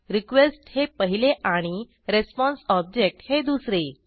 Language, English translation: Marathi, One is the request and the other is the response object